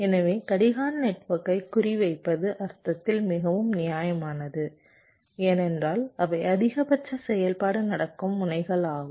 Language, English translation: Tamil, so targeting the clock network is very justified in the sense because those are the nodes where maximum activity is happening